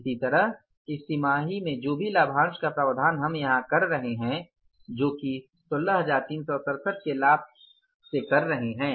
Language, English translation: Hindi, Similarly, in this quarter, whatever the provision for dividend we are making here from the profit of 16,367, we are setting aside an amount of 1,500